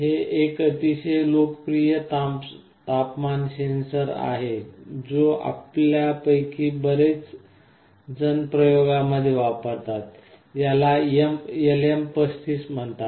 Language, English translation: Marathi, This is a very popular temperature sensor that many of us use in our experiments; this is called LM35